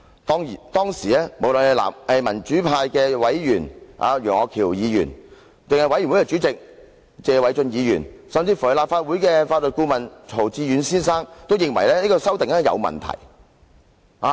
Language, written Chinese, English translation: Cantonese, 當時，民主派委員楊岳橋議員、專責委員會主席謝偉俊議員及立法會法律顧問曹志遠先生均認為，這項修訂有問題。, At that time Mr Alvin YEUNG a pro - democracy member; Mr Paul TSE Chairman of the Select Committee; and Mr Timothy CAO the Legal Adviser of the Legislative Council considered that there was something wrong with the amendment